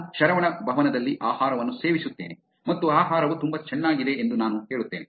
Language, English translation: Kannada, I eat food at Saravana Bhavan and I say that the food is pretty good